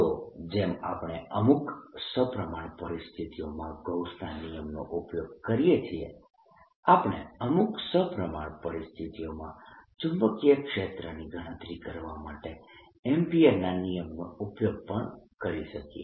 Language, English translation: Gujarati, so just like we use gauss's in certain symmetric situations, we can also use ampere's law and symmetry situations to calculate the magnetic field